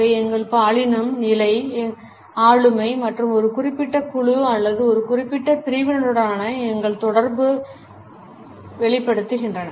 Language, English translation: Tamil, They project our gender, position, our status, personality as well as our affiliation either with a particular group or a particular sect